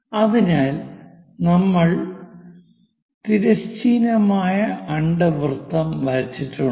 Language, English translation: Malayalam, So, we are done with horizontal kind of ellipse